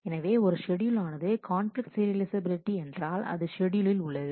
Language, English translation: Tamil, So, if a schedule is conflict serializable; that is, if in a schedule